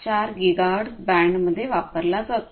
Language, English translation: Marathi, 484 gigahertz band